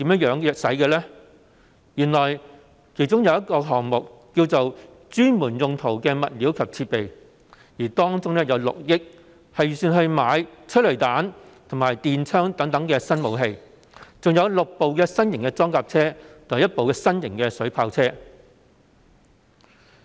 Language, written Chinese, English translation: Cantonese, 原來，有一項目名為"專門用途的物料及設備"，其中的6億元預算用於購買催淚彈和電槍等新武器，以及6輛新型裝甲車及1輛新型水炮車。, Actually there is an item called Specialist supplies and equipment under which an estimate amounting to 600 million will be used for purchasing tear gas rounds and new weapons such as stun guns as well as six new armoured personnel carriers and one new water cannon vehicle